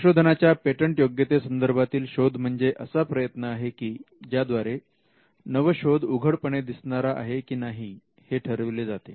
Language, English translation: Marathi, Contrary to popular belief, a patentability search is an effort, that is directed towards determining whether an invention is obvious or not